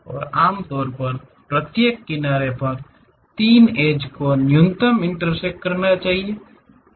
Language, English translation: Hindi, And, usually minimum of 3 edges must intersect at each vertex